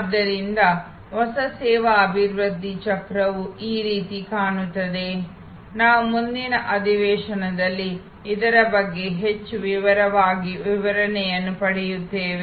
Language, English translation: Kannada, So, the new service development cycle will look somewhat like this we will get in to much more detail explanation of this in the next session